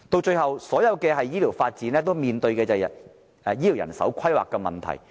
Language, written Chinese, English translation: Cantonese, 最後，所有的醫療發展均面對醫療人手規劃的問題。, Lastly the development of all healthcare services face the problem of healthcare manpower planning